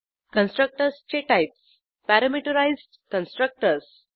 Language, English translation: Marathi, Types of Constructors: Parameterized Constructors